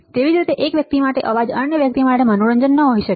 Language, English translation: Gujarati, Similarly, a noise for one person cannot be can be a entertainment for other person all right